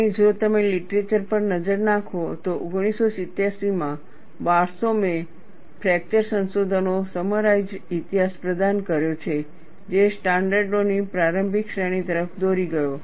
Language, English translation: Gujarati, And if you look at the literature, Barsoum, in 1987 has provided a succinct history of the fracture research, that led to the initial series of standards